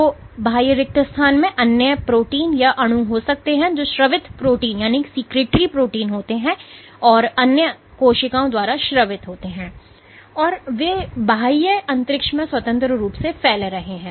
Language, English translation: Hindi, So, the extracellular spaces have might have other proteins or molecules which are secreted proteins which are secreted by other cells, and they are freely diffusing in the extracellular space